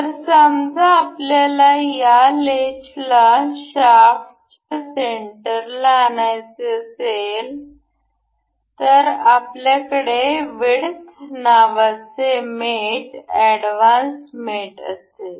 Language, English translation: Marathi, So, suppose, we wish to have this latch in the center of the shaft, to have this we have the mate advanced mate called width